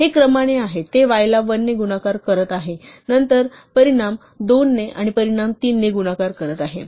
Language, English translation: Marathi, So, this is in sequence, it is multiplying y by 1 then the result by 2 then the result by 3 and so on